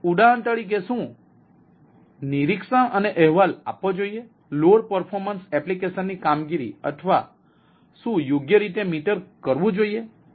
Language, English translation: Gujarati, so what should be monitored and reported, for example, load performance, application performance or what should be metered right